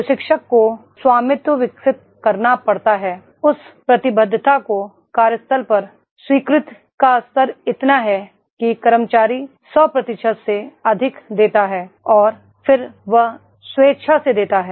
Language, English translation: Hindi, Trainer has to develop the ownership, that commitment that level of acceptance at the workplace so that employee gives more than 100 percent and then he gives voluntarily